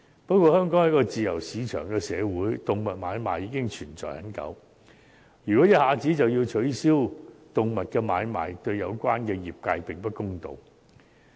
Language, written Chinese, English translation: Cantonese, 不過，香港是一個自由市場的社會，動物買賣亦存在已久，如果一下子取消動物買賣，對有關業界並不公道。, And yet given that Hong Kong is a free - market society where animal trading has existed for a long time it would be unfair to the trade if animal trading is banned all of a sudden